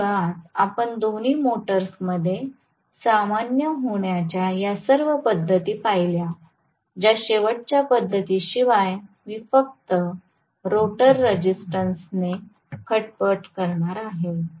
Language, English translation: Marathi, So, basically we looked at all these method of starting common to both the motors except for the last method where I am going to tamper with the rotor resistance alone